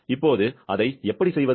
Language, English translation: Tamil, Now, how to do that